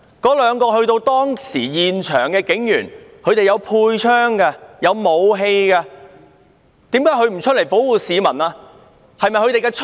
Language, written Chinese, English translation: Cantonese, 當時兩名身處現場的警員，有佩槍和武器，為何他們不上前保護市民？, At that time the two police officers at the scene were equipped with guns and weapons why did they not go forward to protect members of the public?